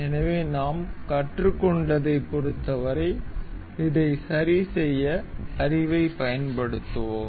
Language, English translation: Tamil, So, as far as what we have learned, so we will use those this knowledge to fix this